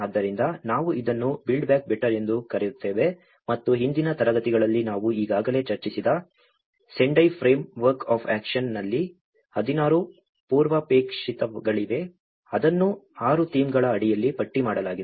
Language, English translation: Kannada, So, this is how we call it as BBB build back better and in Sendai Framework of action which we already discussed about this in the earlier classes as well, there have been 16 prerequisites, which has been listed under the 6 themes